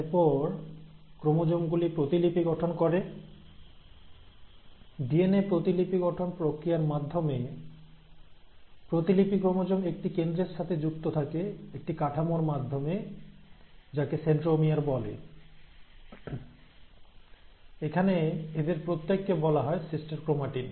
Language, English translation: Bengali, And every time a chromosome undergoes duplication through the process of DNA replication, the duplicated chromosome is attached at the center with the help of a structure called as ‘centromere’, where each of these then called as ‘sister chromatids’